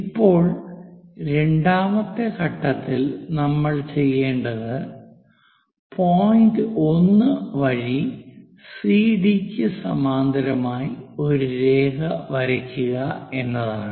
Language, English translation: Malayalam, Now, what we have to do is, second step, let us look at that second step is through 1, draw a line parallel to CD; so through 1, draw a line parallel to CD